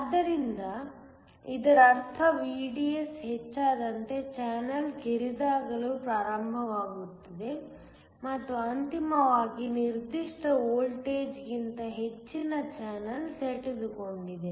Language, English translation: Kannada, So, This essentially means the channel starts to get narrower as VDS increases and ultimately, above a certain voltage the channel just gets pinched off